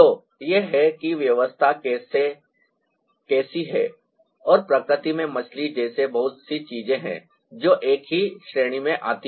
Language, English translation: Hindi, ah, so this is how the arrangements are, and there are lots of things like a fish in nature that falls under the same category